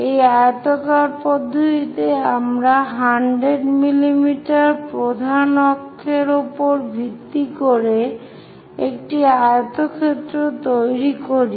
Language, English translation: Bengali, In this oblong method, we basically construct a rectangle based on the major axis 100 mm